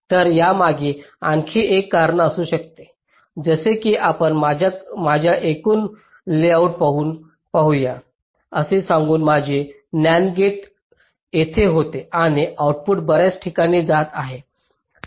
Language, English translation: Marathi, so there can be another reason like, say, lets look at my total layout, lets say my, this nand gate was here and the output was going to so many different place